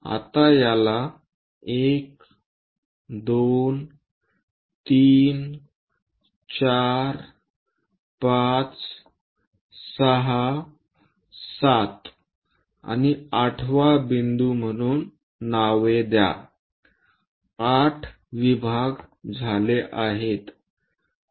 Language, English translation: Marathi, Now name these as 1, 2, 3rd point, 4, 5, 6, 7 and 8th point; 8 divisions are done